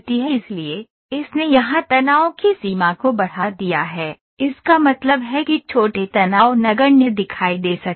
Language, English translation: Hindi, So, it has extended the range of stress here this means that smaller stresses can appear to be negligible